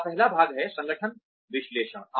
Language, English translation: Hindi, The first is organizational analysis